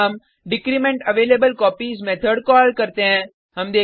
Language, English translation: Hindi, Then we call decrementAvailableCopies method